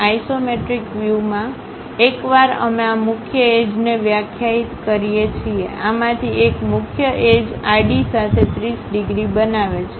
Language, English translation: Gujarati, In the isometric view, once we define these principal edges; one of these principal edges makes 30 degrees with the horizontal